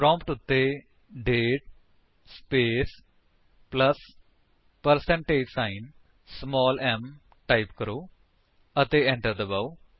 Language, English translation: Punjabi, Type at the prompt: date space plus percentage sign small m and press Enter